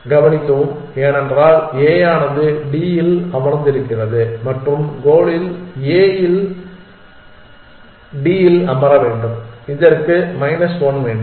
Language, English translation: Tamil, Notice because a sitting on d and in the goal you want to a to be sitting on d and minus one for this